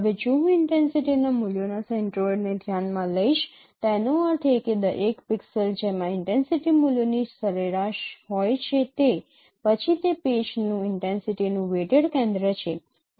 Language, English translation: Gujarati, Now if I consider the center of the intensity values that means a pixel which contains the average of the intensity values which is close to the average of the intensity values then or sorry that is intensity weighted center of match it is not average